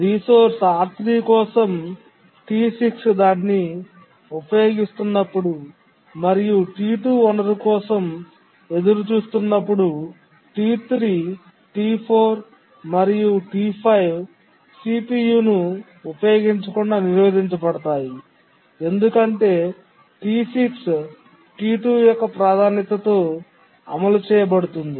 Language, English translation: Telugu, When T6 is using the resource R3 and T2 is waiting for the resource, T3, T3, T4, T5 will be prevented from using the CPU because T6 is executing with a high priority, that is the priority of T2